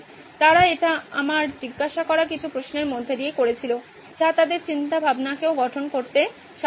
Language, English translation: Bengali, They did it with some of my questions I asked in between, so that helped them structure their thinking as well